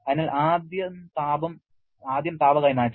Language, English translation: Malayalam, So, first is heat transfer